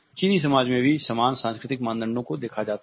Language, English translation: Hindi, The same cultural norms are witnessed in the Chinese societies also